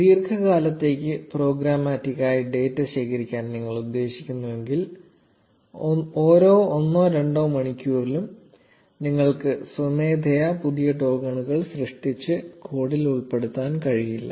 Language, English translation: Malayalam, If you intend to collect data programmatically for a prolonged period of time, you cannot keep on generating a new token manually after every one or two hours and put it in the code